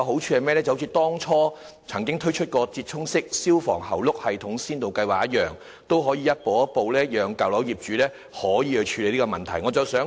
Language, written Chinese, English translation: Cantonese, 正如政府曾經推出"折衷式消防喉轆系統先導計劃"，先導計劃的好處是可以讓舊樓業主逐步處理有關問題。, Just as the Pilot Scheme on Improvised Hose Reel System that the Government once rolled out the merit of a pilot scheme is that owners of old buildings can deal with the problem in a step - by - step manner